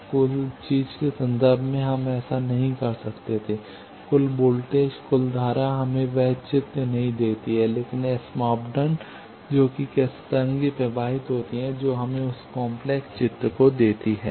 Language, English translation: Hindi, Now in terms of total thing we could not have done that, total voltage, total current does not give us that inside picture, but the S parameter which is how the wave is flowing that gives us that intricate picture